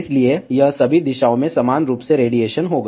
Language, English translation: Hindi, So, it will radiate equally in all the direction